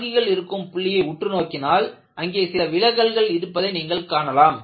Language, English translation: Tamil, So, when you go closer to the supporting points, you will find, there would be deviations